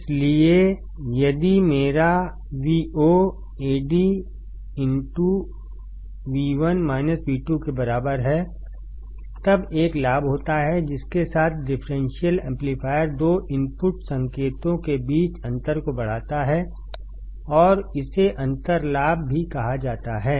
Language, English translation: Hindi, So, if my Vo equals to Ad into V1 minus V2; then Ad is gain with which the differential amplifier, amplifies the difference between two input signals and it is also called as the differential gain